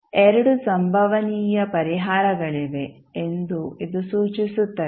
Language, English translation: Kannada, Now, this indicates that there are 2 possible solutions